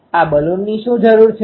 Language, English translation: Gujarati, What is the need of this Balun